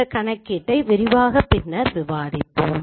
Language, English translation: Tamil, We'll again discuss this elaborate this computation later